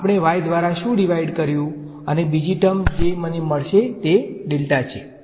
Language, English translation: Gujarati, What did we divide by y and the other term that I will get is delta